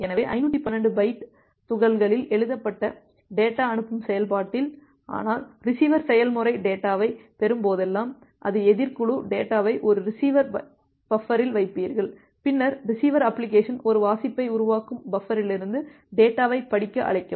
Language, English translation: Tamil, So, at the sending process as written data in 512 byte chunks, but whenever the receiver process will receive the data, that is the opposite team, you get the data put it in a buffer receiver buffer, then the receiver application will make a read call to read the data from the buffer